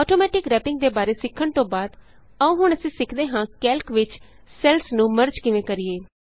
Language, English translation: Punjabi, Lets undo the changes After learning about Automatic Wrapping, we will now learn how to merge cells in Calc